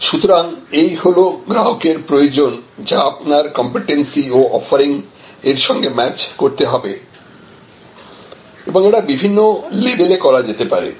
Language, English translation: Bengali, So, this is customer requirement this must be your competency and offering they must be well matched and this can be done at different levels